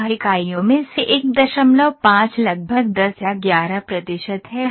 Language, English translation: Hindi, 5 out of 14 units is around 10 or 11 percent